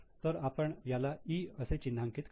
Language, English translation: Marathi, So, let us mark it as E